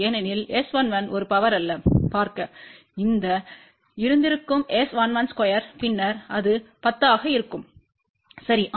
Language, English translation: Tamil, Because S 11 is not a power, see had this been S 11 square then it will be 10, ok